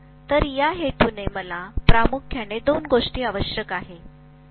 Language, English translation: Marathi, So I need mainly two things for this purpose